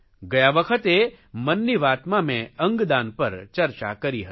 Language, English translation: Gujarati, Last time in 'Mann ki Baat' I talked about organ donation